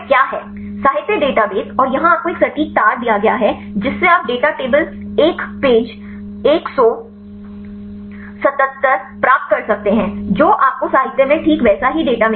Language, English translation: Hindi, literature database and here you also a given the exact wire you can get the data table one page 177 you will get that exactly the same data in literature